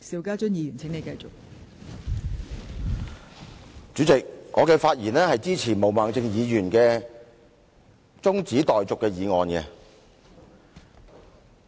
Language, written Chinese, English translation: Cantonese, 代理主席，我發言支持毛孟靜議員提出的中止待續議案。, Deputy President I speak in support of the adjournment motion proposed by Ms Claudia MO